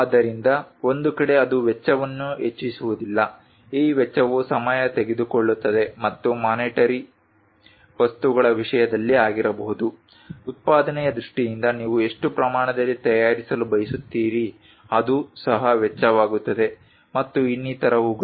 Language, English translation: Kannada, So, that on one side it would not increase the cost this cost can be time consuming it can be in terms of monetary things, in terms of production how much how many quantities you would like to ah prepare it that also cost and many things